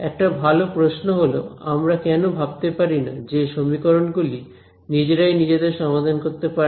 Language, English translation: Bengali, So, one good question is that why can’t we think of solving these equations by themselves right